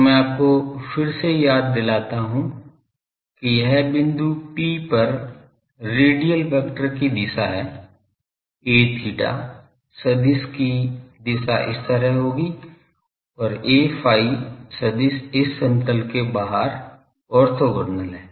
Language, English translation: Hindi, So, I again remind you that this is the direction of the radial vector at point P, the direction of the a theta vector will be like this and a phi vector is orthogonal outside this plane is this, ok